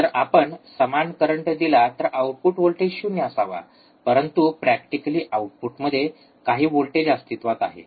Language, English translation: Marathi, If we apply equal current, output voltage should be 0, but practically there exists some voltage at the output